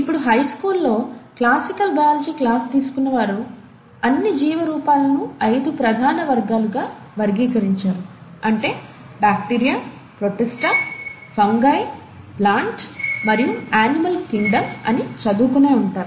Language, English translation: Telugu, Now those of you who would have taken a classical biology class in their high school, they would have been taught that the all the living forms are classified into five major kingdoms, which is, the bacteria, the protista, the fungi, the plant, and the animal kingdom